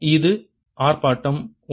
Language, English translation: Tamil, that was demonstration one